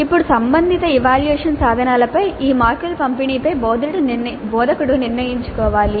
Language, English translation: Telugu, Now the instructor must decide on the distribution of these marks over the relevant assessment instruments